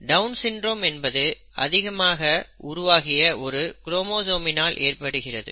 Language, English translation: Tamil, Down syndrome is caused by an extra chromosome number twenty one